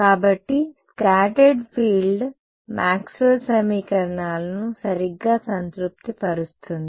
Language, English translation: Telugu, So, also does the scattered field satisfy the Maxwell’s equations right